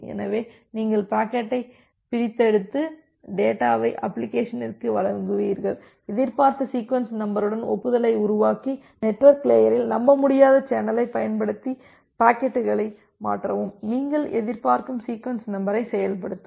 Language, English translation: Tamil, So, you extract the packet deliver the data to the application, construct an acknowledgement with the expected sequence number and use the unreliable channel at the network layer to transfer the packets and implement your expected sequence number